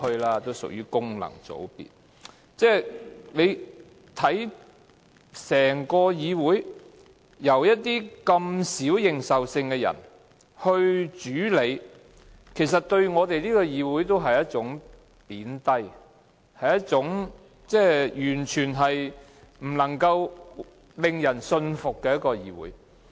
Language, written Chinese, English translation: Cantonese, 大家看到，整個議會由一些認受性低的人來主理，其實是貶低我們的議會，是一個完全不能夠令人信服的議會。, As we can see this Council has been led by people with poor legitimacy . This will actually belittle the Legislative Council making it a totally unconvincing Council to the public